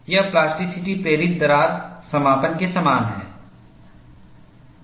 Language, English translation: Hindi, This is similar to the plasticity induced crack closure